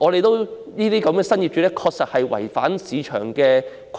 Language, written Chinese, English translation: Cantonese, 然而，這些新業主確實違反了市場規律。, Yet these new owners have definitely violated the rule of the market